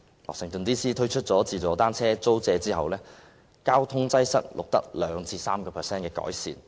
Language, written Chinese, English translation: Cantonese, 華盛頓 DC 推出"自助單車租借"服務後，交通擠塞的情況錄得 2% 至 3% 的改善。, Since the launch of the self - service bicycle hiring service in Washington DC the situation of traffic congestion has recorded an improvement of 2 % to 3 %